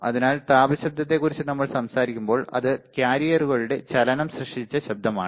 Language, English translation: Malayalam, So, when we talk about thermal noise right, it is noise created by the motion of the carriers